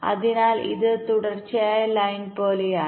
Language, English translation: Malayalam, so it is like a continues line